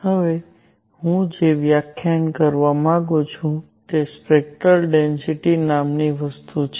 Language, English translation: Gujarati, What I want to define now is something called spectral density